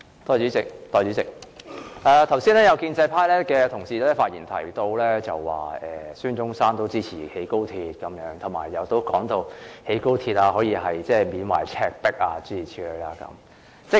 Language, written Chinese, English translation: Cantonese, 代理主席，剛才有建制派同事在發言中提到，孫中山也支持興建高鐵，又說興建高鐵可讓大家緬懷赤壁的歷史，諸如此類。, Deputy President a Member of the pro - establishment camp said just now in his speech that SUN Yat - sen would also support the construction of the Guangzhou - Shenzhen - Hong Kong Express Rail Link XRL and that the construction of XRL would allow for reminiscence of the historical events in Shibi so on and so forth